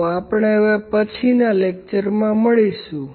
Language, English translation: Gujarati, So, we will meet in the next lecture